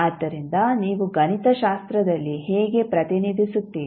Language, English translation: Kannada, So, how you will represent mathematically